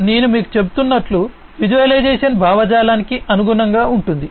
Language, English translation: Telugu, Visualization as I was telling you corresponds to the ideation